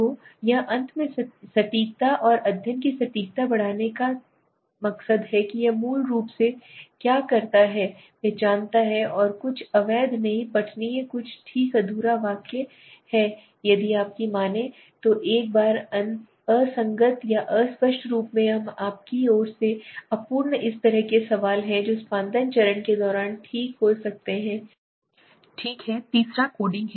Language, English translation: Hindi, So it tell in finally increasing the accuracy and the precision of the study what it does basically it identifies the something illegible not readable something okay incomplete some sentences are incomplete from your side as a researcher inconsistent or ambiguous once if there are if suppose such kind questions are there that could be avoided during the editing stage okay third is coding,